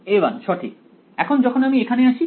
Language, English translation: Bengali, a 1 right when I come here